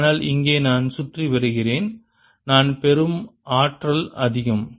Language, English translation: Tamil, but here i go around more, more is the energy that i gain